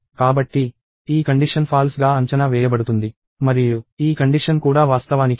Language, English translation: Telugu, So, this condition evaluates to false and this condition also is actually true